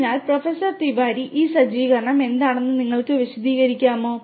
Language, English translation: Malayalam, So, Professor Tiwari, could you explain like what is this setup all about